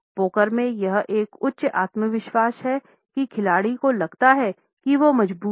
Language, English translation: Hindi, In poker, it is a high confidence tale a signal that the player feels he has a strong hand